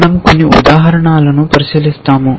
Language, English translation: Telugu, We will look at some examples